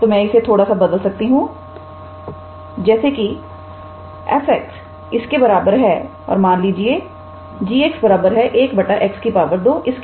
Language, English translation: Hindi, So, I can modify this a little bit since f x equals to this and let g x equals to 1 by x square